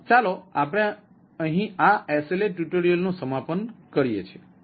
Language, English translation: Gujarati, let us conclude here for this sla tutorial